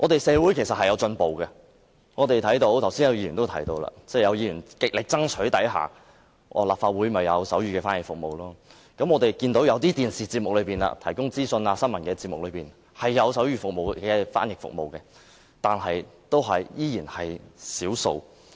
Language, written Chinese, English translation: Cantonese, 社會其實是有進步的，剛才也有議員提到，在議員極力爭取下，立法會便有提供手語翻譯服務；我們看到某些電視節目，一些資訊和新聞節目也有手語翻譯服務，但仍然只是少數。, There is actually progress in society . Just now some Members have mentioned that the Legislative Council finally provides sign language service after they have striven for such service . If we turn on the television we can see that there are some sign language interpretations in certain information and news programmes but there is not that much